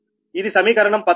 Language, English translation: Telugu, this is equals to equation thirteen